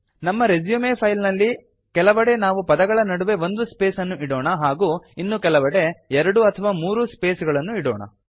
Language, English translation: Kannada, In our resume file, we shall type some text with single spaces in between words at few places and double and triple spaces between words at other places